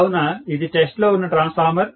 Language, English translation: Telugu, So, this is the transformer under test